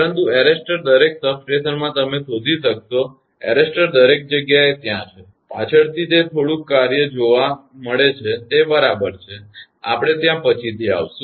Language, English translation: Gujarati, But the arrestor every substation you will find arresters are there everywhere, later it is found little bit function what exactly it is; we will come to that